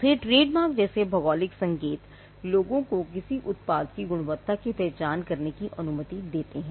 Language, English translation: Hindi, Then geographical indication like trademarks, it allows people to identify the quality of a product